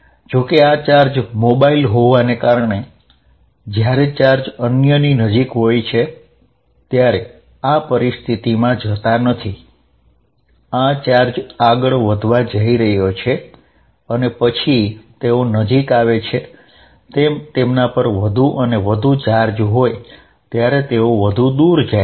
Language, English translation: Gujarati, However, since these charges are mobile when the charges are closed together this is not going to the situation, these charge are going to move and they are going to have more and more charges, because they repel further away then they are nearer